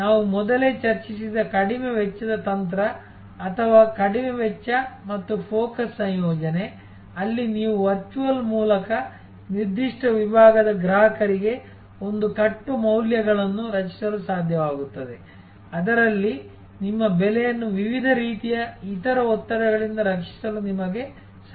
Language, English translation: Kannada, The low cost strategy that we discussed earlier or low cost and focus combination, where you will be able to create a bundle of values for a certain segment of customers by virtual of which you will be able to shield your pricing from different types of other pressures